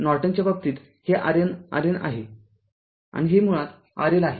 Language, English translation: Marathi, In the case of Norton, i N, R N, and this is basically R L say